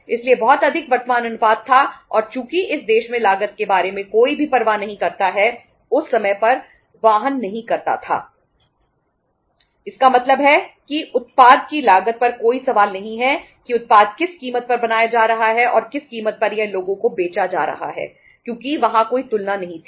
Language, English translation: Hindi, So were having the very high current ratio and since nobody bothers about the cost in this country, bothered at that time so it means there is no question on the cost of the product that at what uh cost the product is being manufactured and at what price it is being sold to the people because there was no comparison